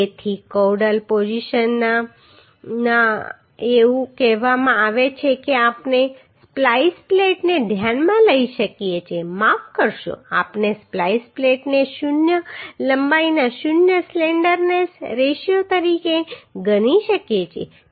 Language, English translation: Gujarati, So in the caudal position it is told that we can consider splice plate sorry we can consider splice plate as a zero length zero slenderness ratio